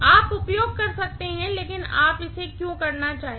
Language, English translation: Hindi, You can use but why would you like to do it